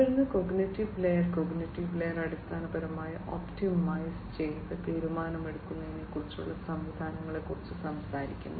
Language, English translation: Malayalam, And then the cognitive layer, cognitive layer basically talks about having systems for optimized decision making